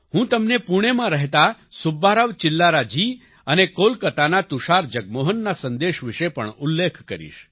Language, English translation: Gujarati, I will also mention to you the message of Subba Rao Chillara ji from Pune and Tushar Jagmohan from Kolkata